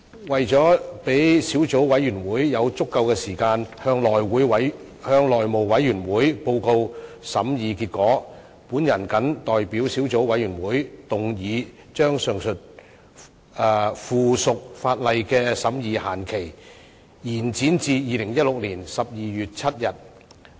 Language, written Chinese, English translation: Cantonese, 為了讓小組委員會有足夠的時間向內務委員會報告審議結果，我謹代表小組委員會動議，將上述附屬法例的審議限期延展至2016年12月7日。, In order to allow the Subcommittee sufficient time to report to the House Committee on its deliberations I move on behalf of the Subcommittee that the deadline for scrutinizing the above subsidiary legislation be extended to 7 December 2016